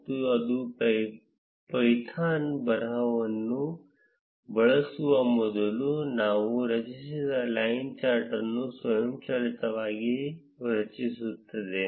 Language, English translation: Kannada, And it automatically creates the line chart that we have created before using the python' script